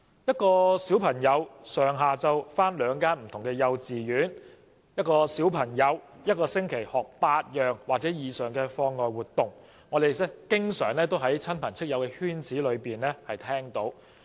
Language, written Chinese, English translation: Cantonese, 一位小朋友上下午到兩間不同的幼稚園上學，或一個星期參加8項或以上的課外活動，這些都是我們經常在親朋戚友的圈子裏聽見的傳聞。, A small child may attend two different kindergartens in the morning and afternoon or participate in eight or more extra - curricular activities weekly . All these rumours are often heard within our circle of relatives and friends